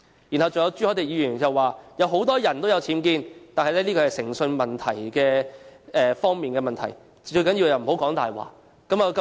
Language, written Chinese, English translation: Cantonese, 然後，還有朱凱廸議員指出很多人都有僭建，但這是誠信問題，最重要是不說謊。, Mr CHU Hoi - dick on the other hand pointed out that many people have UBWs but the key is integrity and it is of paramount importance that no one should lie